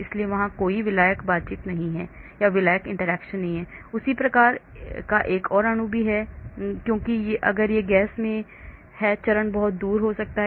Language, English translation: Hindi, so there is no solvent interaction, there is another molecule of that same type is also not there because if it is in gas phase it may be very far apart